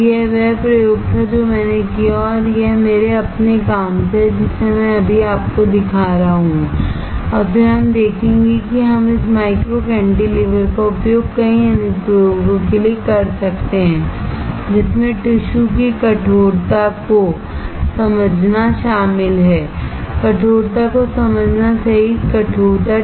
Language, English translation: Hindi, So, that was the experiment that I did and this is from my own work which I am showing it to you right now and then we will see that how we can use this micro cantilever for several applications including understanding the stiffness of the tissue, including understanding stiffness; STIFFNESS